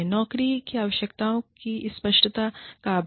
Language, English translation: Hindi, Lack of clarity of job requirements